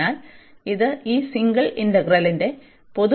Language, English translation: Malayalam, So, another property of this double integral